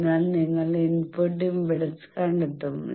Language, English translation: Malayalam, So, you will up to find the input impedance